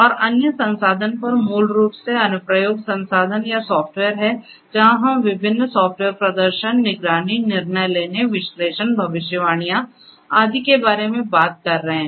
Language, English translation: Hindi, And on the other resource is basically the application resources or the software where we are talking about you know different software performing, monitoring, decision making, analytics, predictions, and so on